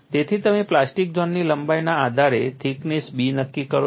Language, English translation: Gujarati, So, you determine the thickness B based on the plastic zone length